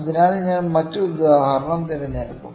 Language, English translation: Malayalam, So, I will pick another example